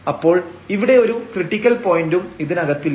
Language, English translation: Malayalam, So, here there is no critical point inside this interior here